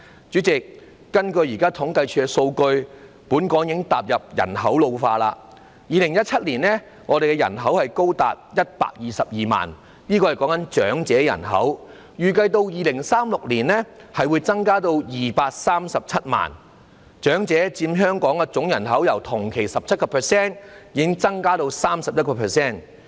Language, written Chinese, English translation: Cantonese, 主席，根據現時政府統計處的數據，本港已踏入人口老化階段，在2017年，香港長者人口高達122萬人，預計到2036年將增至237萬人，長者佔香港總人口由同期的 17% 增至 31%。, President according to the data of the Census and Statistics Department Hong Kong has already entered the stage of population ageing . In 2017 the elderly population reached 1.22 million people and it is projected to increase to 2.37 million in 2036 . The proportion of elderly persons is projected to increase from 17 % to 31 % in the same period